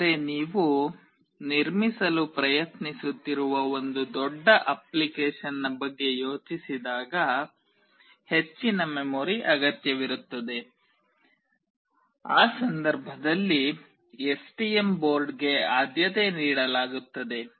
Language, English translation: Kannada, But when you think of a very huge application that you are trying to build, which requires higher memory, in that case STM board will be preferred